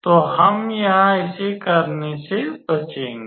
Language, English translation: Hindi, So, we will avoid that doing that here